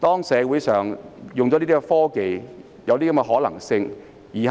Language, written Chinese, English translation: Cantonese, 上述這兩種說法，也有可能成事。, Either of the two scenarios may come true